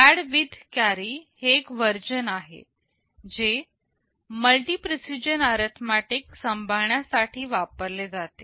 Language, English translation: Marathi, There is a version add with carry that is normally used to handle multi precision arithmetic